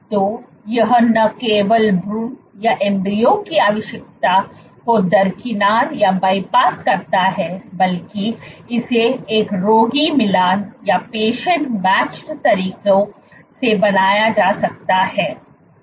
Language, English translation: Hindi, So, not only does it bypass the need for embryos, but you can be this can be made in a patient matched manner